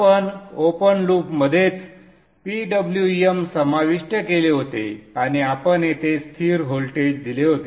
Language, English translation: Marathi, We had actually included the PWM in the open loop itself and we had given a constant voltage here